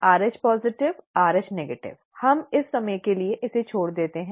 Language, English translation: Hindi, And of course Rh positive, Rh negative, we will leave that aside for the time being